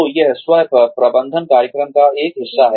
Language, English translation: Hindi, So, this is, one part of the self management program